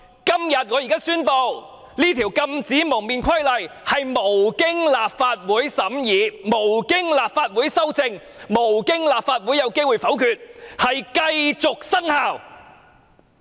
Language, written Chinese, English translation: Cantonese, 所以，我要在此宣布，《禁止蒙面規例》在無經立法會審議、無經立法會修正、立法會沒有機會否決之下繼續生效。, Therefore I have to hereby announce that the Regulation shall continue to have effect without deliberation by the Legislative Council and Members of this Council have not been given the opportunity to move amendments to or vote against the Regulation